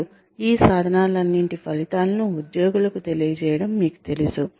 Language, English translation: Telugu, And, you know the results of, all of these tools, are then conveyed to the employees